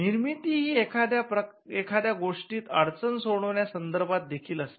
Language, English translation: Marathi, Now, creativity also has a bearing on problem solving